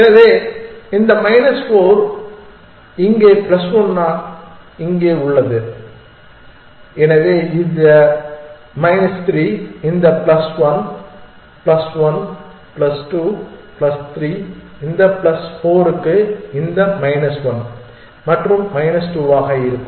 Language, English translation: Tamil, So, minus 4 here plus 1 here, so this will be minus 3 this 1 plus 1 plus 2 plus 3 for this plus 4 for this minus one for this and minus 2 for this